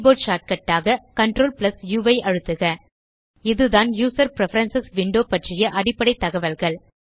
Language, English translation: Tamil, For keyboard shortcut, press CTRl U So this was the basic information about the User Preferences window